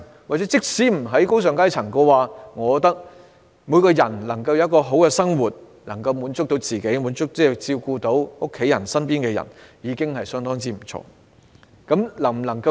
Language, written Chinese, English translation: Cantonese, 即使不是進身高尚階層，我認為只要所有人皆能夠好好生活，能夠滿足自己，照顧家人及身邊的人，亦已相當不錯。, Even if one fails to move upward to a higher class I consider it good enough so long as everyone leads a good life feels satisfied and is able to look after their families and people around them